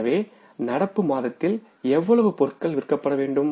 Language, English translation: Tamil, So, how much goods to be sold in the current month